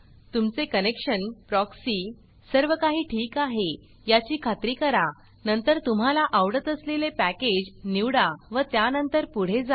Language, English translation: Marathi, Make sure that your connection, your proxy, everything is okay and then choose the package that you like and then go ahead